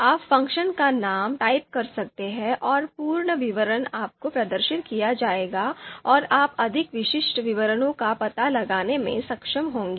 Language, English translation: Hindi, And you can always type the names of these functions and full detail would be displayed to you and you would be able to you know find out more specific details